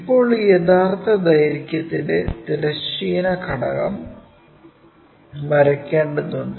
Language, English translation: Malayalam, Now, we have to draw horizontal component of this true lengths